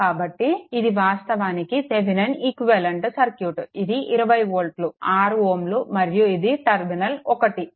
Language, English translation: Telugu, So, this is actually your Thevenin equivalent circuit that is your 20 volt and 6 ohm and this is the terminal 1 right